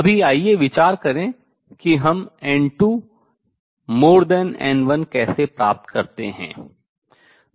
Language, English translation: Hindi, Right now, let us consider how do we achieve n 2 greater than n 1